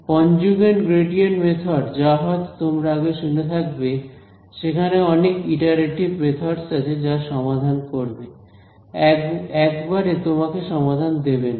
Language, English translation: Bengali, So, something called conjugate gradient method if you heard these words there are there is a whole family of iterative methods which will solve which will not give you the answer in one shot